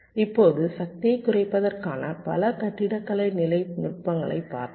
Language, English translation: Tamil, now, ah, we have looked a at a number of architecture level techniques for reducing power